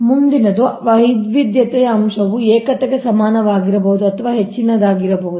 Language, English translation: Kannada, so next is the diversity factor can be equal or greater than unity, right